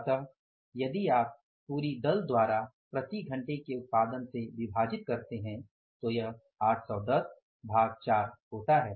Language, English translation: Hindi, So, it means if you divide it by power production by the whole gang, by the whole team, so this works out as 810 divided by 4